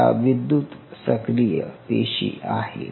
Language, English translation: Marathi, It is a electrically active cells